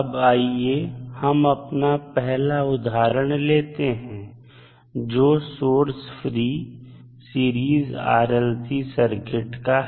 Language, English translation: Hindi, Now, let us first take the case of source free series RLC circuit